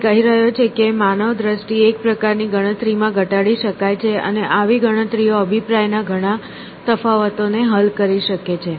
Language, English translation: Gujarati, He is saying that human visioning could be reduced to calculation of a sort and such calculations could resolve many differences of opinion essentially